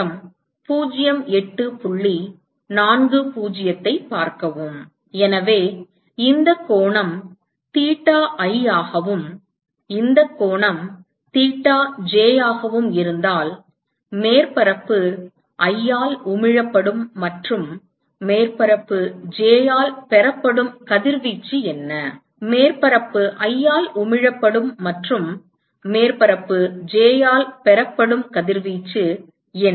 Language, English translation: Tamil, So, supposing if this angle is theta i and this angle is theta j what is the radiation that is emitted by surface i and received by surface j, what is the radiation that is emitted by surface i and received by surface j